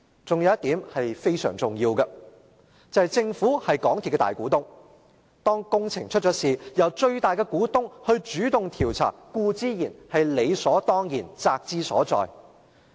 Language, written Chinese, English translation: Cantonese, 還有一點是非常重要的，便是政府是港鐵公司的大股東，當有工程事故發生，由最大的股東主動調查固然是理所當然，責之所在。, Another important point is that the Government is the major shareholder of MTRCL . Following the occurrence of a major works incident the largest shareholder naturally has the responsibility to take the initiative to conduct an investigation